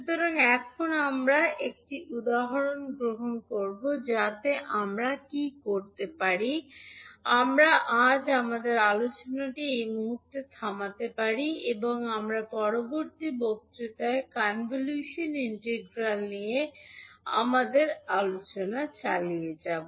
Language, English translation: Bengali, So now we will take one example so what we can do, we can stop our discussion today at this point and we will continue our discussion on convolution integral in the next lecture also